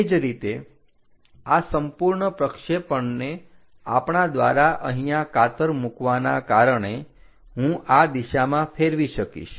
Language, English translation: Gujarati, Similarly, this entire projection, because we scissored here, I can flip it in that direction fold it